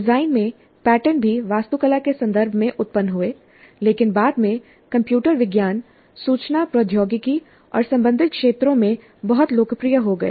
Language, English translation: Hindi, The patterns in design also arose in the context of architecture, but subsequently has become very popular in computer science, information technology and related areas